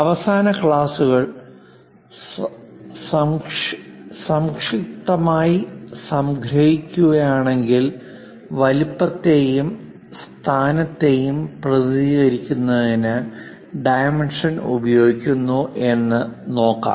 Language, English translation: Malayalam, To briefly summarize you from the last classes, dimension is used to represent size and position